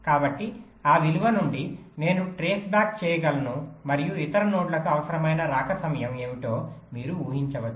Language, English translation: Telugu, from that value i can back trace and you can deduce what will be the required arrival time for the other nodes